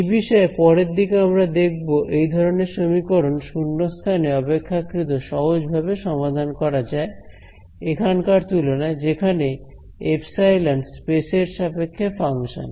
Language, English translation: Bengali, So, as we will see later on in the course, these kinds of equations the once in vacuum are simpler to solve then these kinds of equations where epsilon is the function of space